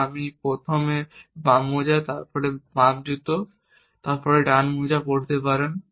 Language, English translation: Bengali, The only thing that you have to do is to wear the left sock before you wear the left shoe and wear the right sock before you wear the right shoes